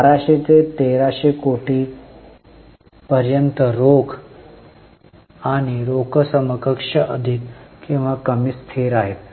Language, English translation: Marathi, Cash and cash equivalents are more or less constant from 1,200 to 1,300 crore